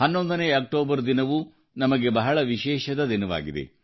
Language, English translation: Kannada, 11th of October is also a special day for us